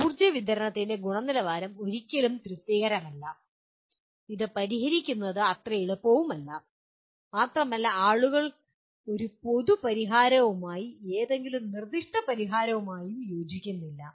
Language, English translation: Malayalam, The quality of the power supply is never satisfactory and to solve that things are not very easy and people do not agree with a common solution/with any proposed solution